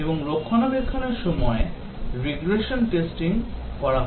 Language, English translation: Bengali, And during maintenance the regression testing is carried out